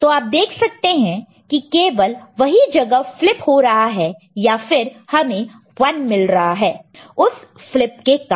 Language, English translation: Hindi, You will see that only corresponding place over here is getting you know, flipped or getting a 1, because of the flipping over here, ok